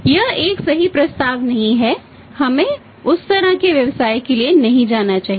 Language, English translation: Hindi, It is not a right proposition we should not go for that kind of the business